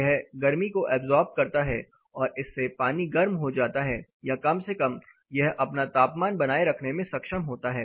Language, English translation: Hindi, It observes of radiant heat because of this the water gets warmer or at least it is able to maintain its temperature